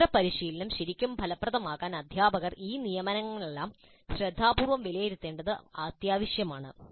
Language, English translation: Malayalam, For the independent practice to be really effective, it is essential that the teacher evaluates all these assignments carefully or any other form of activity given